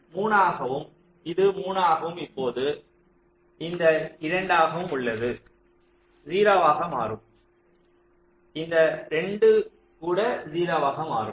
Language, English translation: Tamil, this is become three, this is become three, and now this two will become zero